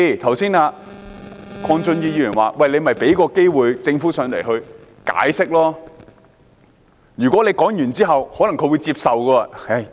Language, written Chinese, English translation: Cantonese, 鄺俊宇議員又說，應該給政府機會到來解釋，如果說完之後，他可能會接受。, Mr KWONG Chun - yu also said that the Government should be given a chance to explain and he might accept the Governments explanation